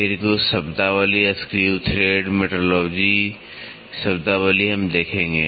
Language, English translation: Hindi, Then, some of the terminologies screw thread metrology terminologies we will see